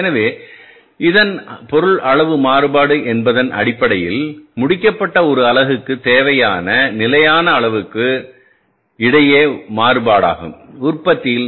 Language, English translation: Tamil, So, for this means the quantity variance is basically the variance between the standard quantity required for the one unit of product that is the finished product and the actual quantity we have used